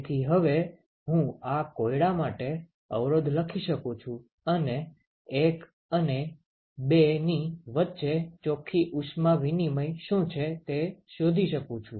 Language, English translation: Gujarati, So, now I can write the resistances for this problem and find out what is the net heat exchange between 1 and 2